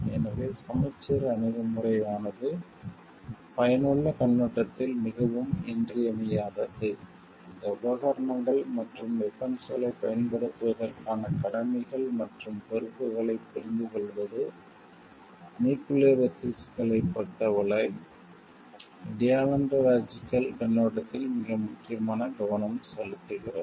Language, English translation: Tamil, So, balanced approach is very much essential from the utilitarian perspective, understanding ones duties towards and responsibilities of using these equipments and weapons, is also very important focus from the deontological perspective with respect to nuclear ethics